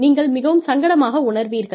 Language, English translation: Tamil, You feel, very uncomfortable